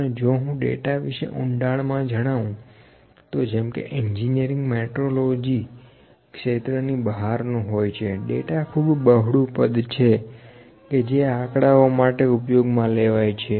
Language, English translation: Gujarati, And if I talk about a data broadly like even out of the scope of our engineering metrology, data is a very wide or broad term that is used for the numbers